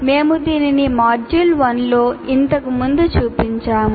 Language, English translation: Telugu, So we have shown this earlier in the module 1 as well